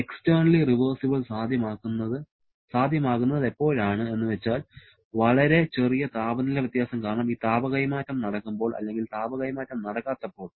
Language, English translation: Malayalam, Externally reversible is possible when this heat transfer is taking place because of extremely small temperature difference or if there is no heat transfer at all